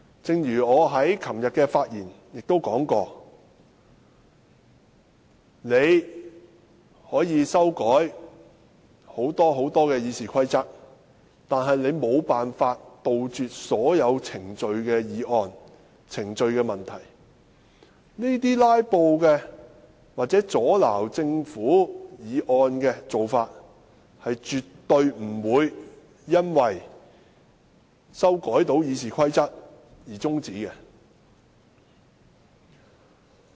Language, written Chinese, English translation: Cantonese, 正如我昨天在發言時說，建制派可以大幅修改《議事規則》，但他們無法杜絕所有程序問題，這些"拉布"或阻撓政府議案的做法，絕對不會因為修改了《議事規則》而終止。, As I already said yesterday the pro - establishment camp may amend RoP in any drastic way they want but they cannot possibly eradicate all procedural issues . Such tactics of filibuster or stalling Government motions will not come to an end with the amendment of RoP